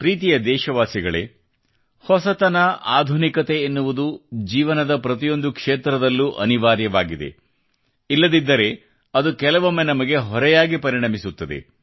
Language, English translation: Kannada, Dear countrymen, novelty,modernization is essential in all fields of life, otherwise it becomes a burden at times